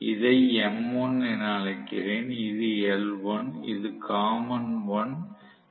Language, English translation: Tamil, let me call this as m1 this is l1, this is common 1 this is v1